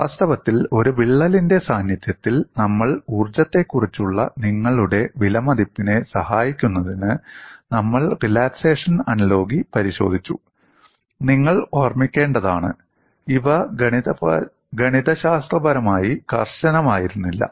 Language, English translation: Malayalam, In fact, to aid your appreciation of strain energy in the presence of a crack, we looked at relaxation analogy; you should keep in mind, these were not mathematically rigorous